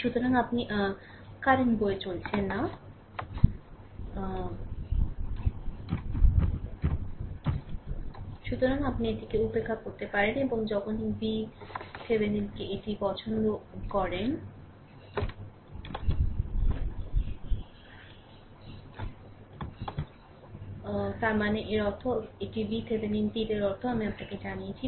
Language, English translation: Bengali, So, you can ignore this and whenever we take V Thevenin your like this; that means, that means this is your V Thevenin arrow means I told you plus